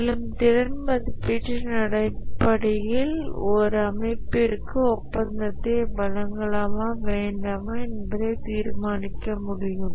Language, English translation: Tamil, And based on the capability evaluation, the organization awarding the contract can decide whether to award the contract or not